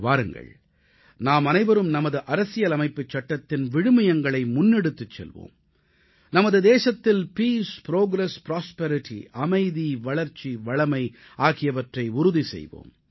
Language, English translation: Tamil, Let us all take forward the values enshrined in our Constitution and ensure Peace, Progress and Prosperity in our country